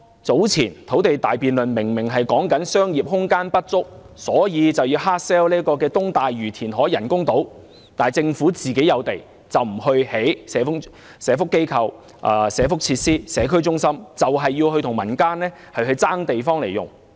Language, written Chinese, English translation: Cantonese, 早前土地大辯論明明說商業空間不足，所以要硬銷東大嶼填海人工島，但政府有地卻不興建社福機構、社福設施和社區中心，硬要與民間爭地來用。, The grand debate on land supply earlier on indicated that there is a shortage of commercial space thus the need to hard sell the reclamation works to build artificial islands off East Lantau . The Government is not using readily available sites for welfare facilities and community centres . Instead it competes for land supply with the people